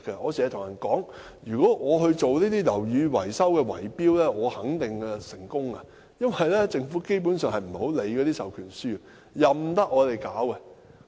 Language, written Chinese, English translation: Cantonese, 我經常說，如果我參與樓宇維修圍標，我肯定成功，因為政府基本上不太理會授權書，任由我們處理。, As I often said if I participate in building maintenance bid - rigging I will definitely succeed because the Government basically does not care about the proxy form . People are left to handle it how they want